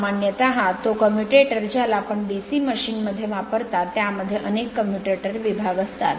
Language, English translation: Marathi, Generally that commutator actually in a your what you call in a DC machine you have several commutator segments right